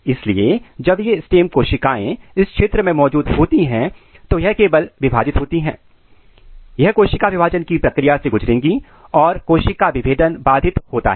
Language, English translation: Hindi, So, when these stem cells are present in this region, it will only divide it will undergo the process of cell division and the cell differentiation is inhibited